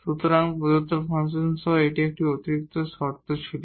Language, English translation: Bengali, So, there was an additional condition along with the function given